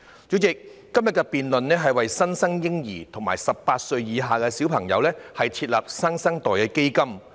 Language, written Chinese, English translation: Cantonese, 主席，今天的辯論議題是促請政府為新生嬰兒及18歲以下兒童設立"新生代基金"。, President the debate today is about setting up a New Generation Fund the Fund for newborns and children under the age of 18